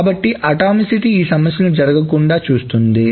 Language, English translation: Telugu, So the atomicity ensures that those problems do not happen